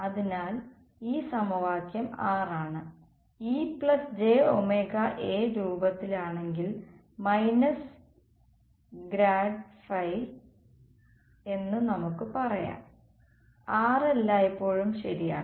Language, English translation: Malayalam, So, this is equation 6 right if E plus j omega A is of the form let us say minus grad phi then 6 is always true ok